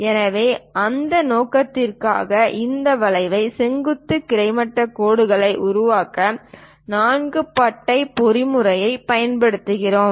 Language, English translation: Tamil, So, for that purpose we are using four bar mechanism to construct this kind of vertical, horizontal lines